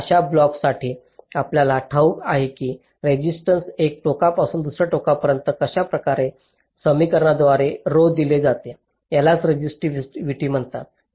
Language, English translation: Marathi, now for such a block, you know that the resistance from one end to the other is given by an equation like this: rho is the constant called the resistivity